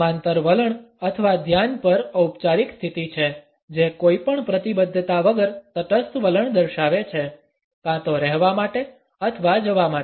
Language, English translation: Gujarati, The parallel stance or at attention is a formal position which shows a neutral attitude without any commitment; either to stay or to go